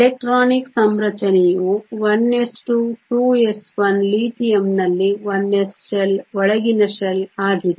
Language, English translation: Kannada, The electronic configuration is1 s 2, 2 s 1 the 1 s shell in Lithium is an inner shell